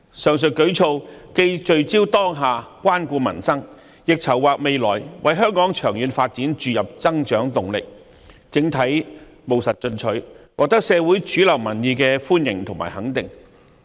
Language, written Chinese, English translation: Cantonese, 上述舉措既聚焦當下，關顧民生，亦籌劃未來，為香港長遠發展注入增長動力，整體務實進取，獲得社會主流民意的歡迎和肯定。, These measures have focused on addressing the current needs of catering to the peoples livelihood while making plans for the future and injecting momentum for growth of the long - term development of Hong Kong . It is overall pragmatic and proactive and is well - received and supported by the mainstream public opinions in society